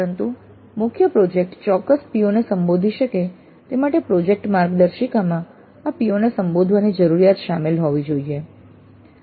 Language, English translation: Gujarati, But for even the main project to address specific POs, project guidelines must include the need to address these POs